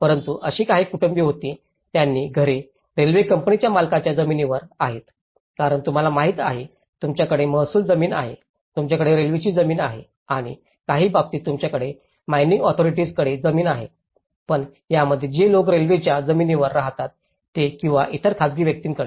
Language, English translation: Marathi, But, there were also some families whose houses are located on a land that belonged to a railway company because you know, you have the revenue land, you have the railway land or in some cases you have the mining authorities land, so but in this case the people who are residing on the railway land so or to other private individuals